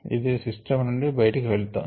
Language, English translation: Telugu, ok, getting out of the system